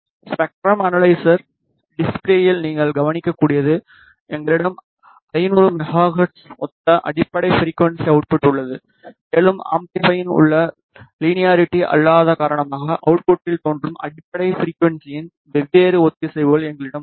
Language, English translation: Tamil, As you can observe on the spectrum analyzer display we have the fundamental frequency output which corresponds to 500 megahertz and we have different harmonics of the fundamental frequency appearing into the output because of the nonlinearity present in the amplifier